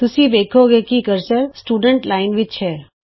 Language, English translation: Punjabi, Notice that the cursor is in the Students Line